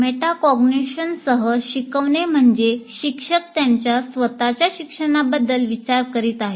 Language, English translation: Marathi, Teaching with metacognition means teachers think about their own thinking regarding their teaching